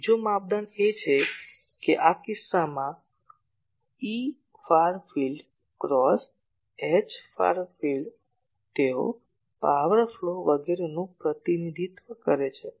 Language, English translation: Gujarati, And another criteria is that in this case this E far field cross H far field they represent the power flow etc